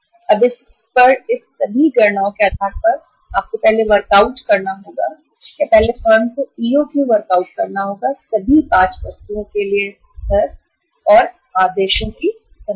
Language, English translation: Hindi, Now on the basis of this all calculations you first have to work out or the firm first has to work out the EOQ level for all the 5 items, number of orders